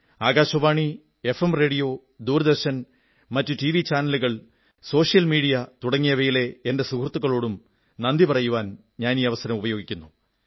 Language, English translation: Malayalam, I also thank my colleagues from All India Radio, FM Radio, Doordarshan, other TV Channels and the Social Media